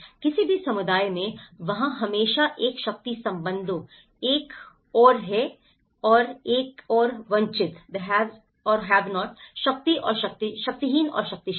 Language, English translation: Hindi, In any community, there always a power relations; one is have and have nots, power and powerful; powerless and powerful